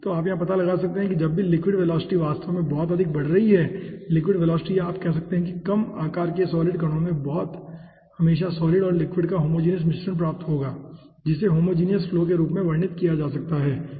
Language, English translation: Hindi, so you can find out over here whenever the liquid velocity is actually increasing very high liquid velocity, or you can say at lower size of the solid particles, always will be getting homogeneous mixture of the solid and liquid, which can be characterized, as you know, homogeneous flow